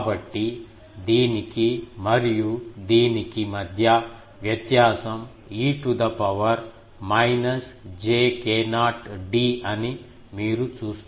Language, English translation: Telugu, So, you see that between this one and this one, the difference is e to the power minus j k not d